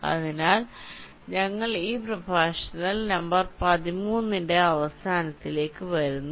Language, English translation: Malayalam, so with this we come to the end of a, this lecture number thirteen